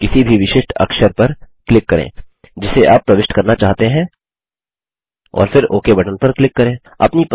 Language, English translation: Hindi, Now click on any of the special characters you want to insert and then click on the OK button